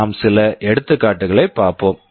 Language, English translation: Tamil, We will take some examples